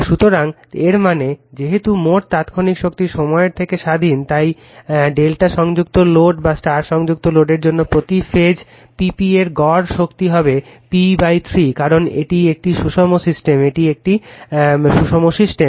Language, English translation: Bengali, So, that means, since the total instantaneous power is independent of time I told you, the average power per phase P p for either delta connected load or the star connected load will be p by 3, because it is the balanced system, it is a balanced system